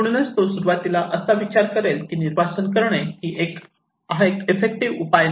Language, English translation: Marathi, So, he may think initially that evacuation is not an effective measure